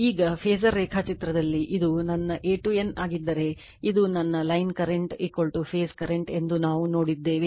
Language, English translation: Kannada, Now, somewhat phasor diagram we have seen that if this is this is my A to N, this is my say your line current is equal to phase current